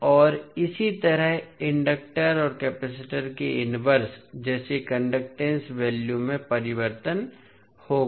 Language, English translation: Hindi, And similarly, the values of like conductance the inverse of inductor and capacitor will change